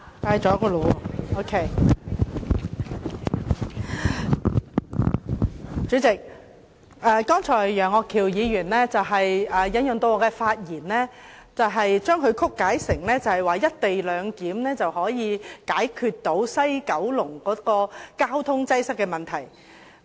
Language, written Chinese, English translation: Cantonese, 代理主席，楊岳橋議員剛才引述我的發言，將我的意思曲解成"一地兩檢"安排可以解決西九龍交通擠塞的問題。, Just now Mr Alvin YEUNG referred to my remarks but he misrepresented my view quoting me as saying that the co - location arrangement can resolve the traffic congestion problem in Kowloon West